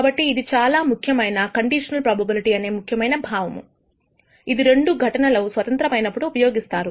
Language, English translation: Telugu, Now that is an important notion of conditional probability, which is used when two events are not independent